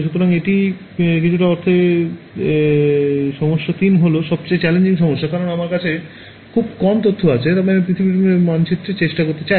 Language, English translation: Bengali, So, this is in some sense problem 3 is the most challenging problem because, I have very little information yet I want to try to map the whole earth ok